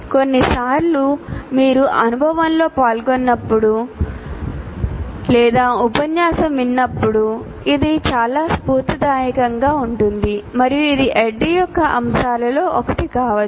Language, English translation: Telugu, See, sometimes when you participate in one experience or listen to a lecture, it could be quite inspirational and that also can be one of the elements of ADI